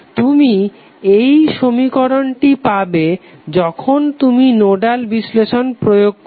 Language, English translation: Bengali, So you will simply get this equation when you apply the Nodal analysis